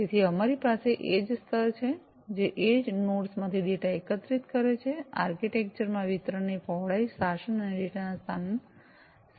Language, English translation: Gujarati, So, we have the edge layer, which gathers data from the edge nodes, the architecture includes the breadth of distribution, governance, and location of the data